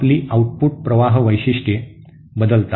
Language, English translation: Marathi, My output current characteristics changes